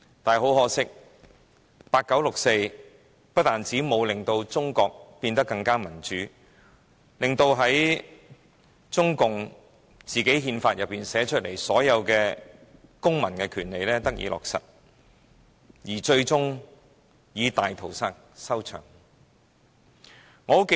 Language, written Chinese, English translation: Cantonese, 但是，很可惜，八九六四沒有令中國變得更民主，沒有令中共寫在憲法中的所有公民權利得以落實，最終以大屠殺收場。, But unfortunately the 4 June incident in 1989 did not make China more democratic nor did it lead to the implementation of all the civil rights stipulated by CPC in the constitution . It culminated in a massacre